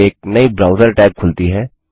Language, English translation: Hindi, Click on it A new browser tab opens